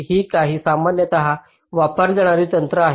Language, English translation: Marathi, these are some of the very commonly used techniques